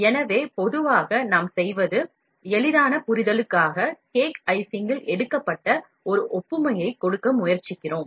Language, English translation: Tamil, So, generally what we do is, for easy understanding, we try to give an analogy took of cake icing